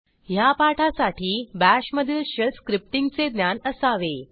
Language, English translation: Marathi, To follow this tutorial you should have knowledge of Shell Scripting in BASH